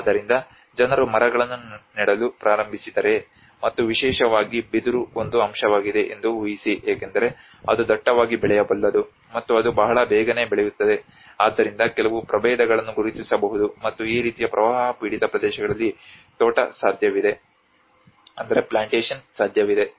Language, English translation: Kannada, So imagine if people start planting the trees and especially bamboo is one aspect one because it can densely grow and as well as it was very quick in growing so there are some species one can identify, and plantation could be possible in this kind of flood affected areas